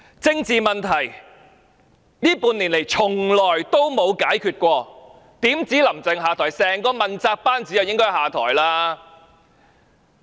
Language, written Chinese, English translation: Cantonese, 政治問題這半年來從未曾解決，豈止"林鄭"要下台，整個問責班子也應該下台。, None of the political issues has ever been resolved in the past six months . Not only does Carrie LAM have to step down the entire accountability team should step down as well